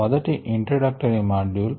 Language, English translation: Telugu, the first was introductory module